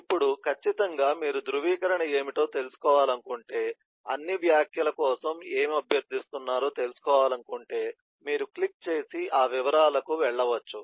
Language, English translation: Telugu, Now, certainly, if you really want to know what is validation, really want to know what is requesting for all comments, you can click and go to that details